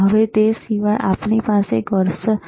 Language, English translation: Gujarati, Now other than that, we have cursor, right